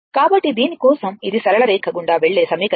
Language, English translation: Telugu, So, for this this, this is the equation ah passing through a straight line